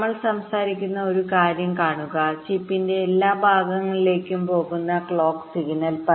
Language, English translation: Malayalam, see one thing: we are talking about the clock signal which is going to all parts of the chip